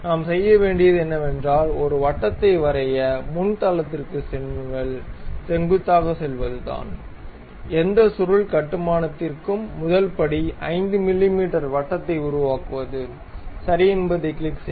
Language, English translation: Tamil, So, the first thing what we have to do is go to frontal right plane normal to that draw a circle, the first step for any helix construction is making a circle 5 mm, click ok